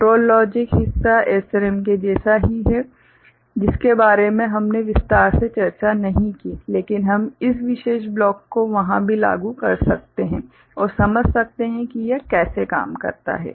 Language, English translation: Hindi, The control logic part remains as it was for SRAM, which we did not discuss in that detail, but we can apply this particular block there also and understand how it works